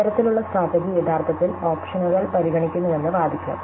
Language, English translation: Malayalam, So, now let us argue that this kind of strategy actually considers all the options